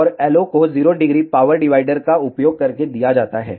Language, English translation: Hindi, And the LO is given using a 0 degree power divider